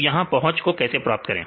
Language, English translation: Hindi, So, how to get the accessibility